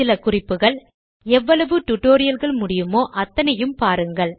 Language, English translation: Tamil, Some tips: Go through as many spoken tutorials as possible